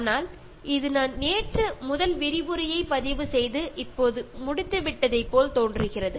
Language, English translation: Tamil, But it just went like as if I just started recording the first lecture yesterday and then it’s just completing now